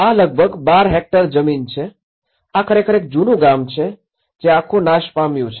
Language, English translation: Gujarati, This is about a 12 hectare land; this is actually the old village where the whole village has got destroyed